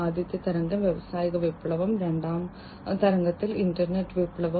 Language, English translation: Malayalam, So, the first wave was the industrial revolution, in the second wave was the internet revolution